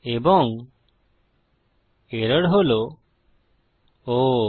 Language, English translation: Bengali, And the error is Oh